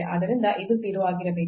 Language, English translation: Kannada, So, this is come this is to be 0